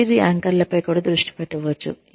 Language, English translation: Telugu, One could also focus on, career anchors